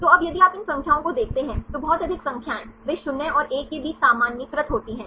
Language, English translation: Hindi, So, now, if you see these numbers, very high numbers, they are normalised between 0 and 1